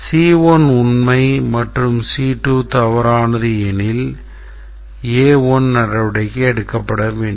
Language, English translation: Tamil, C1 is true, C2 is true and C2 is true and C1 is false, C2 is true